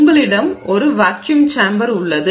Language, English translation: Tamil, So, you have a vacuum chamber